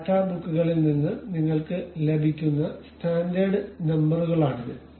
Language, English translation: Malayalam, These are the standard numbers what you will get from data books